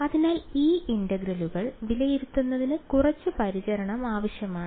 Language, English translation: Malayalam, So, evaluating these integrals requires some little bit of care ok